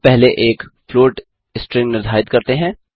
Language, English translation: Hindi, We define a float string first